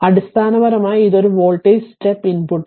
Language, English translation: Malayalam, So, basically it is a voltage step input